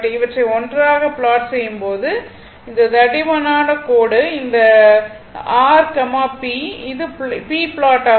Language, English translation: Tamil, Now, when you plot together, if you plot together, this thick line, this thick line, this one is your p right, this is the p plot